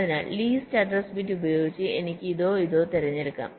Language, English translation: Malayalam, so by using the list address bit i can select either this or this